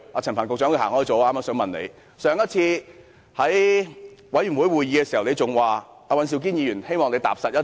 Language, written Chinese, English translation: Cantonese, 陳帆局長離開了，我正想問他，上次他在事務委員會聯席會議上表示希望尹兆堅議員能踏實一些。, I am about to ask him about his comment at the last joint Panel meeting that Mr Andrew WAN could be more pragmatic